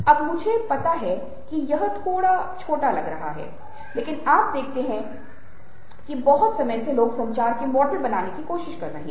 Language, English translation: Hindi, now, i know that it might look a little imposing, but you see that for pretty long time people have been trying to create models of communication